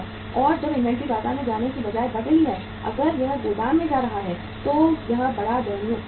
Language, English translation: Hindi, And when the inventory is mounting rather than going to the market if it is going to the warehouse it is a very very pathetic situation